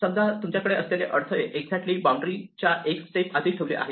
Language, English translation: Marathi, Imagine that we have these obstacles placed exactly one step inside the boundary